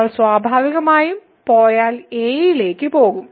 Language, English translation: Malayalam, So, if we goes to a naturally the will also go to